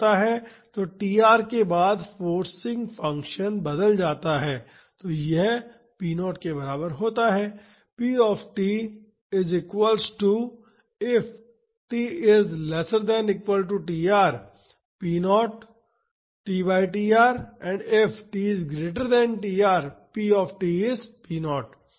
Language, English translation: Hindi, So, after tr the forcing function changes then it is equal to p naught